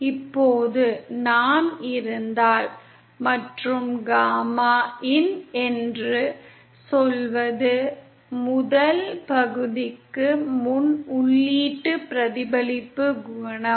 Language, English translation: Tamil, Now if we… And suppose say gamma in is the input reflection coefficient before the first section